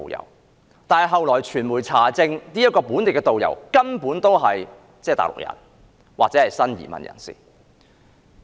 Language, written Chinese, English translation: Cantonese, 然而，後來傳媒查證，那名"本地導遊"根本是內地人或新移民。, Nevertheless the media later found that the local tourist guide was actually a Mainlander or a new immigrant